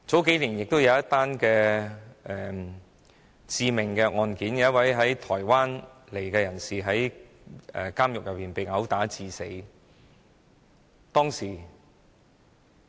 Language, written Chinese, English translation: Cantonese, 數年前曾發生一宗致命案件，一位從台灣來港的人士在監獄內被毆打致死。, There was a fatal case a few years ago when a person from Taiwan was assaulted and killed in prison